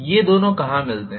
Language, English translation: Hindi, Where these two intersect